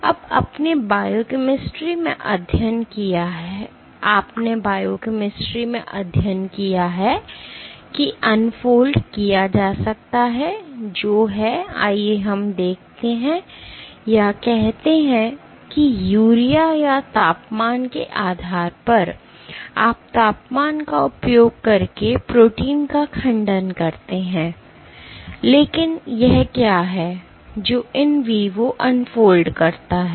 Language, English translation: Hindi, Now, you have studied in biochemistry that unfolding can be done using let us say the agents like urea, or by temperature you denature proteins using temperature, but what is it that leads to unfolding in vivo